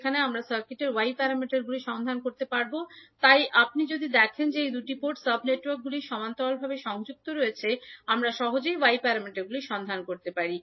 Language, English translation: Bengali, Now, let us take another example where we need to find out the Y parameters of the circuit, so if you see these two port sub networks are connected in parallel so we can easily find out the Y parameters